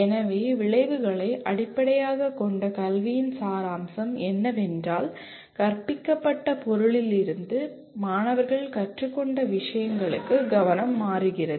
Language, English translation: Tamil, So the essence of outcome based education is, the focus shifts from the material that is taught to what the students have learned